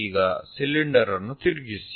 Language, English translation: Kannada, For example, this is the cylinder